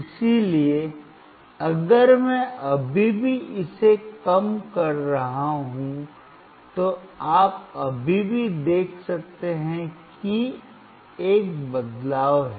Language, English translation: Hindi, So, if I still go on decreasing it, you can still see there is a change